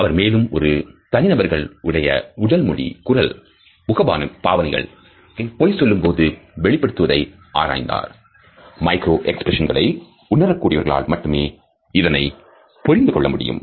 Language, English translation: Tamil, He has also looked closely as how an individual's body language, voice, facial expressions in particular can give away a lie and people who are sensitive to the micro expressions can understand these lies